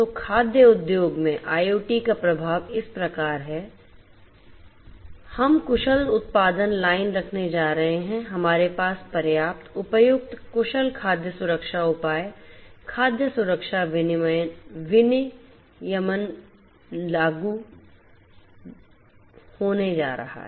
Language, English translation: Hindi, So, the impact of IIoT in the food industry is like this that we are going to have efficient production line, we are going to have adequate, suitable, efficient food safety measures, the food safety regulation implemented